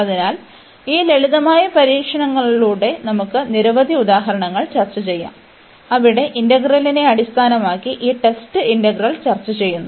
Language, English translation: Malayalam, So, with this simple test we can discuss many examples, where based on the integral which we have just discuss this test integral